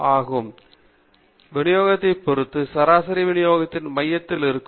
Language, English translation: Tamil, Sometimes, depending upon the shape of the distribution, the mean may be at the geometric center of the distribution